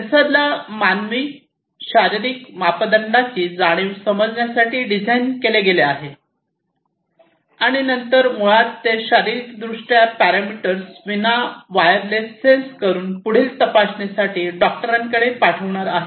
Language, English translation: Marathi, And they send, they sense the human physiological parameter that they have been designed to sense and then basically those physiological parameters wirelessly they are going to send those parameters to the doctors for further monitoring